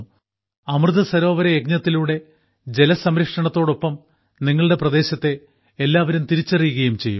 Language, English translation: Malayalam, Due to the Amrit Sarovar Abhiyan, along with water conservation, a distinct identity of your area will also develop